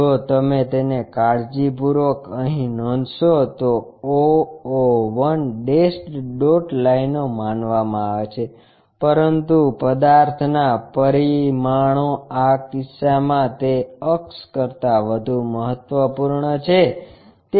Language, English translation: Gujarati, If you note it carefully here the o o 1 supposed to be dashed dot lines, but the object dimensions are more important than that axis in this case